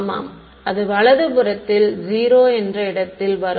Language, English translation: Tamil, Yeah it will come in the place of 0 on the right hand side yeah